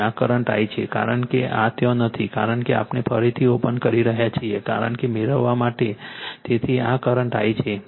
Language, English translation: Gujarati, This is the current I right, because this is not there because we are reopening, because on to get the So, this is the current I